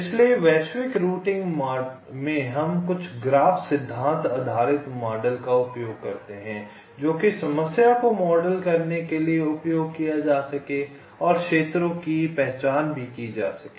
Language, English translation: Hindi, so in global routing we use some graph theory based models so which can be used to model the problem and also identified the regions